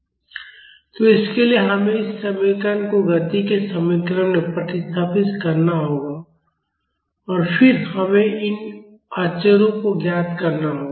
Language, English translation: Hindi, So, for that we have to substitute this equation in the equation of motion in this equation of motion and then we have to find out these constants